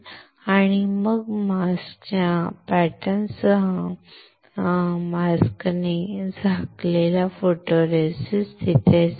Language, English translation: Marathi, And then the photoresist which is covered with the mask with the pattern of the mask will stay there